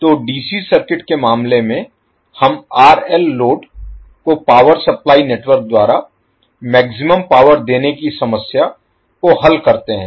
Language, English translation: Hindi, So, in case of DC circuit we solve the problem of maximizing the power delivered by the power supplying network to load RL